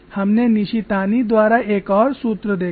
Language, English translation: Hindi, You have another set of expressions given by Nishitani